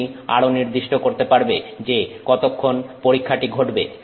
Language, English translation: Bengali, You can also specify how long the test happens